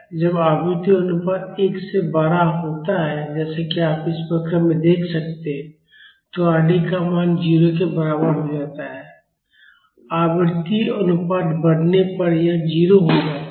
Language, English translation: Hindi, When the frequency ratio is larger than 1 as you can see in this curves so, the value of Rd becomes equal to 0, it tends to 0 as the frequency ratio increases